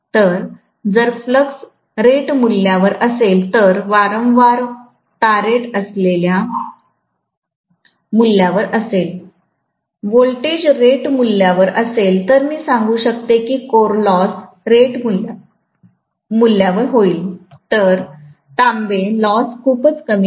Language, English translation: Marathi, So, if the flux is at rated value, the frequency is at rated value, the voltage is at rated value, I can say the core losses will be at rated value, whereas the copper losses are very very minimal